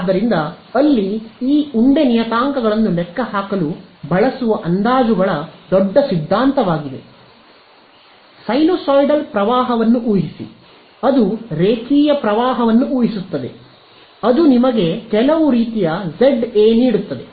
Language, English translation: Kannada, So, there is a large theory of approximations which are used to calculate this lump parameters, it will assume sinusoidal current, it will assume linear current all of these approximations are there which will give you some form of Za ok